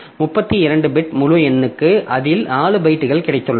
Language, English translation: Tamil, So, for 32 bit integers, so 32 bit integer if I have, so this is a 32 bit integer